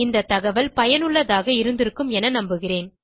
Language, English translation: Tamil, Hope you find this information helpful